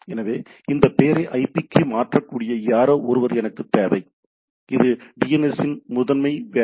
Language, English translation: Tamil, So, I require somebody who can convert this name to IP, that exactly the job of the primary job of DNS